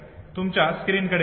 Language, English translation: Marathi, Look at your screen